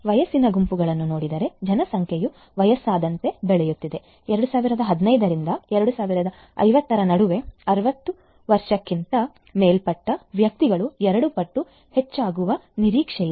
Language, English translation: Kannada, Looking at the age groups populations are growing older, between 2017 to 2050; 2017 to 2050, the persons aged 60 years over are expected to increase more than double